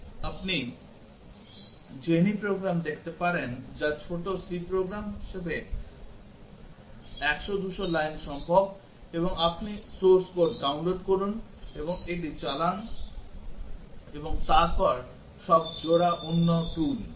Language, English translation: Bengali, You can see the Jenny program which as small C program possible 100 200 lines and you download the source code and run it and then all pairs is another tool